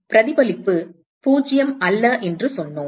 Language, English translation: Tamil, So, we said that the reflectivity is not 0